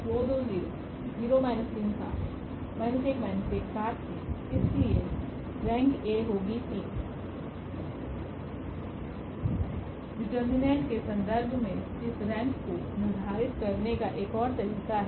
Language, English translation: Hindi, There is another way of determining this rank in terms of the determinant